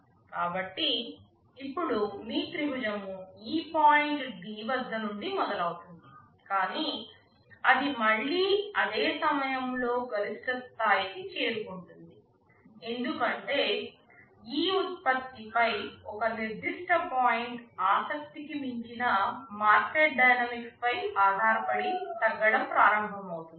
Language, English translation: Telugu, So, now, your triangle starts from here at this point D, but it will again reach the peak at the same point because depending on market dynamics beyond a certain point interest in that product will start to go down